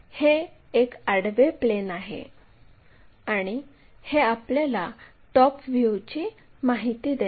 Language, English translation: Marathi, This is horizontal plane, and this gives us top view information